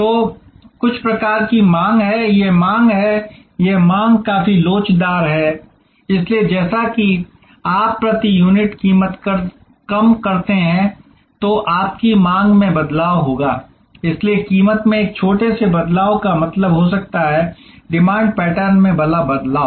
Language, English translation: Hindi, So, there are certain types of demand this is the demand, this demand is quite elastic with respect to… So, as you if the price per unit comes down, then your demand will be shifting, so a small change in price can mean a large change in demand pattern